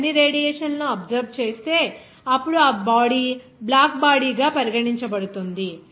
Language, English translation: Telugu, If the body is absorbing all the radiation, then the body will be regarded as black body